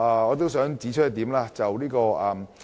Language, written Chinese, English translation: Cantonese, 我還想指出另一點。, I also want to bring up another point